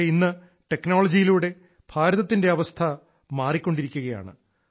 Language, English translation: Malayalam, But today due to technology the situation is changing in India